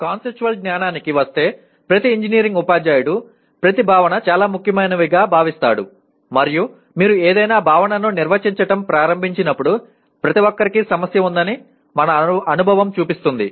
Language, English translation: Telugu, Coming to the Conceptual Knowledge while everyone every engineering teacher considers what concepts are very important and our experience shows that when you start defining what a concept is everyone has an issue or a problem